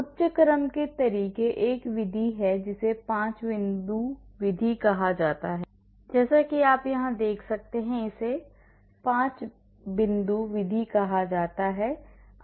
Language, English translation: Hindi, Higher order methods; there is one method which is called 5 point method, as you can see here, this is called 5 point method,